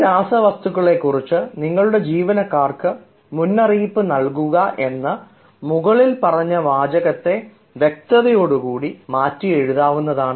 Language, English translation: Malayalam, so the same sentence can be written very clearly if we say: warn your employees about these chemicals